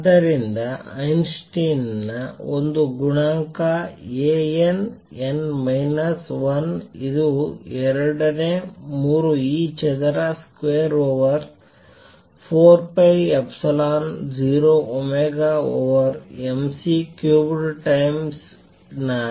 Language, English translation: Kannada, So, the Einstein’s A coefficient A n, n minus 1 is this 2 thirds e square over 4 pi epsilon 0 omega over m C cubed times n